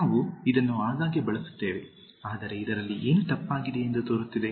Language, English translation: Kannada, We use this very often, but looks like what is wrong with this